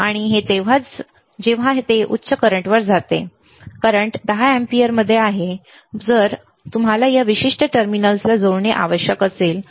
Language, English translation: Marathi, And this only when it goes to higher current higher current is 10 amperes ns in amperes, then you have to connect these particular terminals, all right